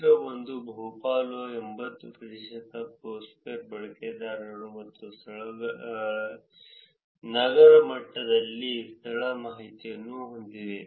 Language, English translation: Kannada, Figure 1 the vast majority 80 percent of Foursquare users and venues have location information at the city level